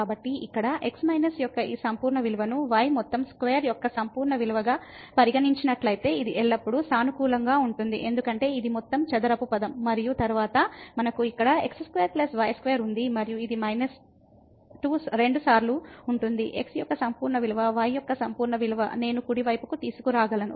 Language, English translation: Telugu, So, here if we consider this absolute value of minus absolute value of whole square, this will be always positive because this is a whole square term and then, we have here square plus square and this will be minus 2 times absolute value of minus absolute value of which I can bring to the right hand side